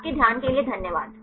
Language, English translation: Hindi, Thank you for your kind attention